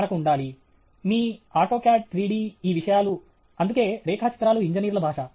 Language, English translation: Telugu, We should be… your Autocad, Three D, these things… that is why drawing is the language of engineers